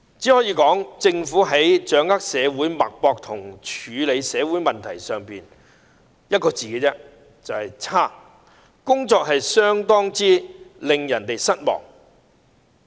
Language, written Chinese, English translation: Cantonese, 政府在掌握社會脈搏或處理社會問題上，我只能說一個字："差"，工作相當令人失望。, My comment on the ability of the Government to feel the pulse and deal with social problems can only be one word poor . Its performance has been most disappointing